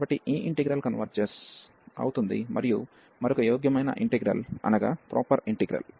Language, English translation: Telugu, So, this integral converges and the other one is proper integral